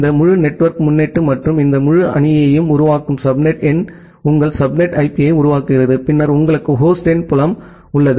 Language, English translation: Tamil, And this entire network prefix and the subnet number that forms this entire team forms your subnet IP and then you have the host number field